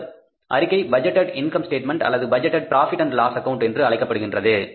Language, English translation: Tamil, That statement is called as the budgeted income statement or the budget in a profit and loss account